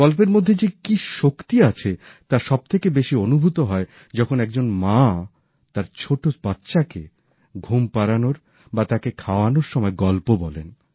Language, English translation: Bengali, If the power of stories is to be felt, one has to just watch a mother telling a story to her little one either to lull her to sleep or while feeding her a morsel